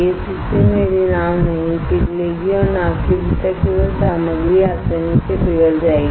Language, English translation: Hindi, In this case my boat will not melt and only the material within the boat will melt easy